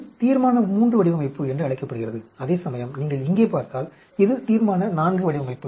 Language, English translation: Tamil, So, this is called a Resolution III design, whereas the corresponding if you look here, this is Resolution IV design